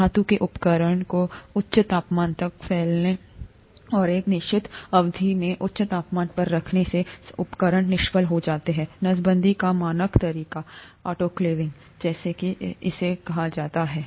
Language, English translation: Hindi, Instruments are sterilized by exposing the metallic instruments to high temperature and keeping it at high temperature over a certain period of time, the standard way of sterilization; autoclaving as it is called